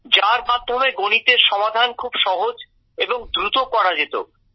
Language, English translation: Bengali, In which mathematics used to be very simple and very fast